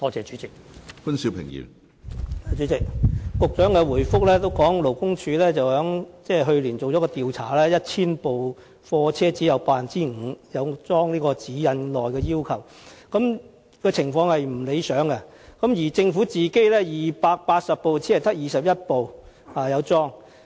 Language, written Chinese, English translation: Cantonese, 主席，局長的主體答覆指出，勞工處去年曾進行一項調查，結果顯示，在1000部貨車之中，只有 5% 安裝了《指引》內要求的裝置，情況並不理想，而政府本身的280部車輛之中，亦只有21輛安裝了安全裝置。, President the Secretary points out in the main reply that LD conducted a survey last year and the survey result shows that only 5 % of the 1 000 goods vehicles being surveyed installed the safety device required in GN and the compliance rate is far from satisfactory; and that of the 280 existing government goods vehicles only 21 goods vehicles installed the safety device